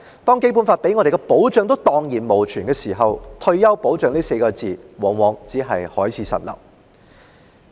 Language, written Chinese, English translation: Cantonese, 當《基本法》給予香港人的保障蕩然無存，"退休保障"這4字往往只是海市蜃樓而已。, When protection for Hong Kong people guaranteed under the Basic Law has disappeared retirement protection is anything but a mirage